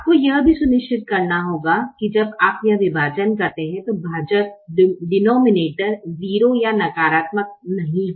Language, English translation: Hindi, you also have to make sure that when you do this division the denominator is not zero or negative